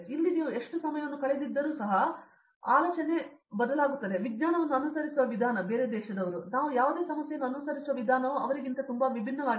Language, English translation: Kannada, Here no matter how much time you have spent, the kind of thinking, the way we approach science, the way we approach any problem is very different and how somebody from outside approaches